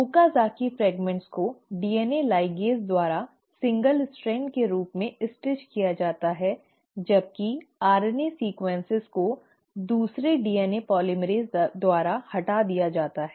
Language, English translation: Hindi, The Okazaki fragments are finally stitched together as a single strand by the DNA ligase while the RNA sequences are removed by another DNA polymerase